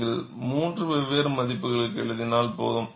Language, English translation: Tamil, It is enough if you write for 3 different values